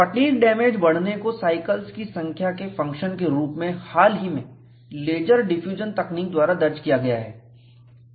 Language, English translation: Hindi, The progress of fatigue damage as a function of number of cycles has been recorded recently by laser diffusion technique